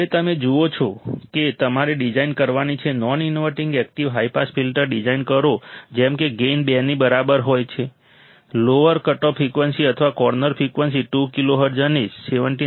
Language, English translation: Gujarati, Now what you see is that you have to design; design a non inverting active high pass filter such that gain equals to 2; lower cutoff frequency or corner frequency is 2 kiloHz and capacitance of 79